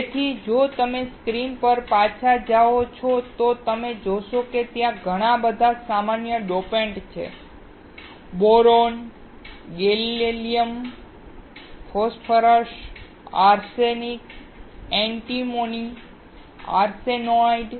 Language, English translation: Gujarati, So, if you go back to the screen, you will find that there are several common dopants: Boron, Gallium, Phosphorus, Arsenic, Antimony and Arsenide